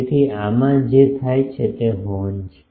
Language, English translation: Gujarati, So, what happens in this is the horn